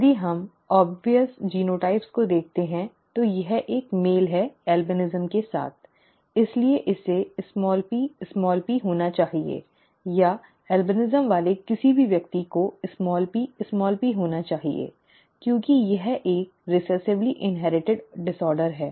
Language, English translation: Hindi, If we look at obvious genotypes, this is a male with albinism therefore it has to be small p small p, or anything with an albinism has to be small p small p because it is a recessively inherited disorder